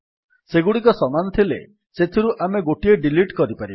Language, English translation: Odia, If they are same then we may delete one of them